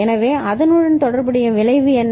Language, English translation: Tamil, So, what is the corresponding effect